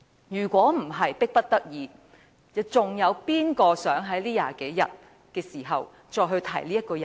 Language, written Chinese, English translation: Cantonese, 如非迫不得己，有誰會想在這20多天的時間，再次提起這個人？, Had we the choice who would want to talk about this person again in these 20 - odd days?